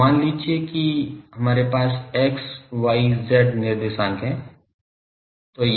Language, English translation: Hindi, So, suppose what will do that we have x y z coordinate